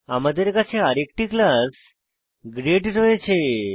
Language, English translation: Bengali, Here we have another class as grade